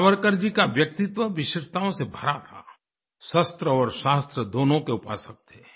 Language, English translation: Hindi, Savarkar ji's personality was full of special qualities; he was a worshipper of both weapons or shashtra and Knowledge or shaashtras